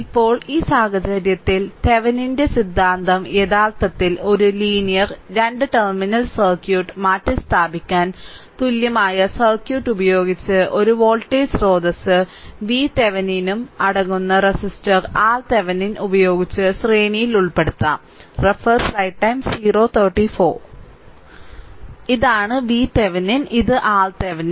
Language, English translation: Malayalam, So, in this now in this case, Thevenin’s theorem actually states a linear 2 terminal circuit can be replaced by an equivalent circuit consisting of a voltage source V Thevenin in series with your resistor R Thevenin